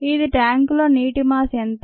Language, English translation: Telugu, what is the mass of the water in the tank